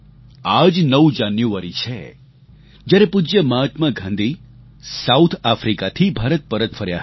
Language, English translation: Gujarati, It was on the 9 th of January, when our revered Mahatma Gandhi returned to India from South Africa